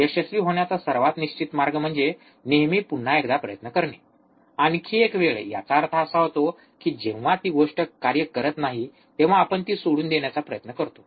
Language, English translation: Marathi, The most certain way of to succeed is always to try just once once more one more time; that means, that we generate try to give up the thing, right when it does not work